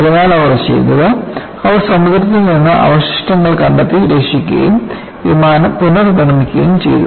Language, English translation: Malayalam, So, what they did was they salvagedwreckage from the ocean and they reconstructed the aircraft